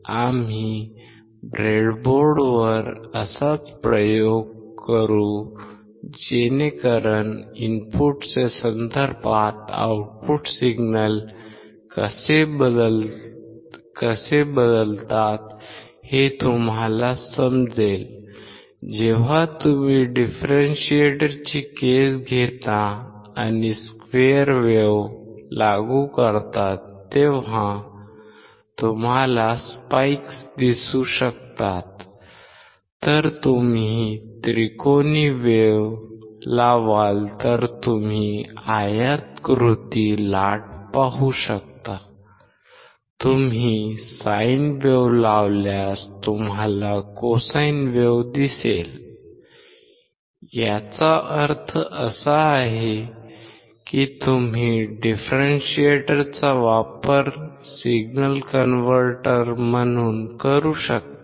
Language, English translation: Marathi, We will do similar kind of experiment on the breadboard so that you can understand how the output signals will vary with respect to input; when you take the case of a differentiator when you apply square wave you will be able to see spikes; if you will apply triangular wave you can see rectangular wave; if you apply sine wave you can see cosine wave; that means, that you can use the differentiator as a signal converter